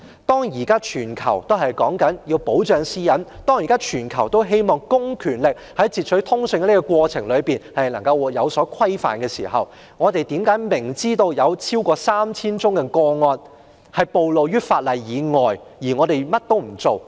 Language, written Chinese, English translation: Cantonese, 當全球現時都強調要保障私隱，希望公權力在截取通訊的過程中受到規範之際，我們為何明知有超過 3,000 宗個案不受法例保障，卻甚麼都不做？, When places around the world now emphasize the need to protect privacy and wish to regulate public power in the course of interception of communications why do we still do nothing knowing very well that more than 3 000 cases were not protected by the law?